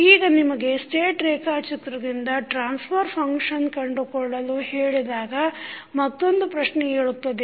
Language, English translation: Kannada, Now, the next question comes when you are asked to find the transfer function from the state diagram